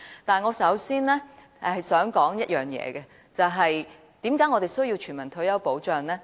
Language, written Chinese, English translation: Cantonese, 但是，我首先想說一件事，為何我們需要全民退休保障呢？, However I would like to make one point first . Why do we need universal retirement protection?